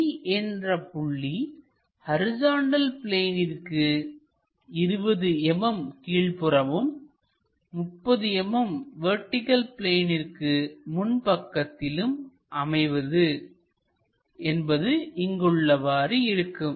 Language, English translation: Tamil, A point D is 20 mm below horizontal plane and 30 mm in front of vertical plane draw its projections